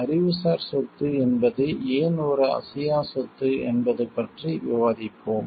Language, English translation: Tamil, We will discuss in why intellectual property is an intangible property